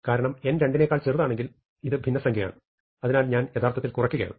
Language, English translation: Malayalam, Because if n smaller than 2 this is a fraction so I am actually reducing